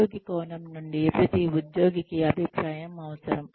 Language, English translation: Telugu, From the employee perspective, every employee requires feedback